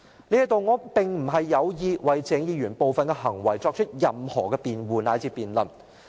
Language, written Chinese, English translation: Cantonese, 這裏我並非有意為鄭議員的部分行為作出任何辯護乃至辯論。, I am not seeking to defend Dr CHENG for some of his behaviours or debate his behaviours